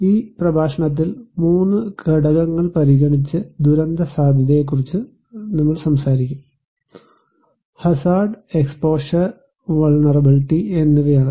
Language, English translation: Malayalam, In this lecture, we will talk about disaster risk considering 3 components; one is hazard, exposure, and vulnerability